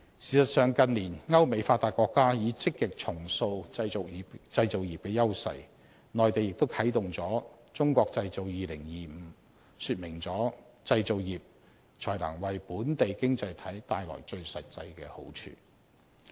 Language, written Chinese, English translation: Cantonese, 事實上，近年歐美發達國家已積極重塑製造業的優勢，內地亦啟動了"中國製造 2025"， 說明了製造業才能為本地經濟體帶來最實際的好處。, As a matter of fact advanced countries in Europe and the United States have been reshaping the edges of their manufacturing industries in recent years . The Mainland has also implemented the Made in China 2025 initiatives . All these efforts show that only the manufacturing industry can bring about the most concrete benefit for local economies